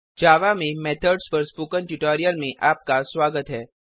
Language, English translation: Hindi, Welcome to the Spoken Tutorial on methods in java